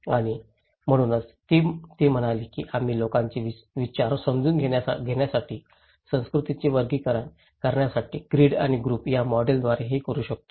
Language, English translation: Marathi, And so, she said that we can do it through the model called grid and group to categorize the culture to understand people's mind